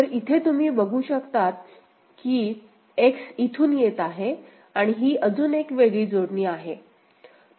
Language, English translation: Marathi, So, you can see that X is coming like this, this is the connection and this is the other one